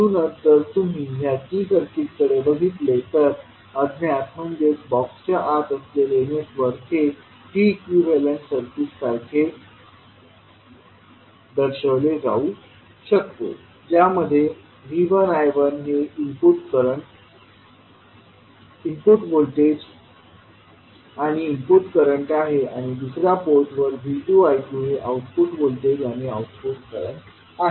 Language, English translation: Marathi, So, if you see this particular T circuit, so the unknown that is basically the network which is there inside the box can be equivalently represented by a T equivalent circuit where VI I1 are the input voltage and input currents and V2 I2 are the output voltage and output current at the other port